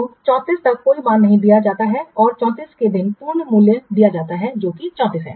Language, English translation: Hindi, And on the day of 34, full value is given, that is 34 is given here